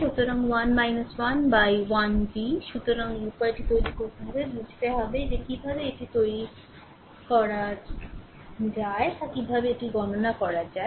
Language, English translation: Bengali, So, 10 minus v 1 upon 1 so, this way you have to make it, you have to see you have to understand that how to make your what to call how to compute this right